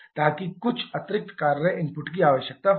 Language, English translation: Hindi, So that will require some additional amount of work input